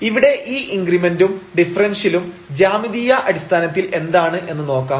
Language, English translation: Malayalam, Now, we will see here what do we mean by this increment and this differential in terms of the geometry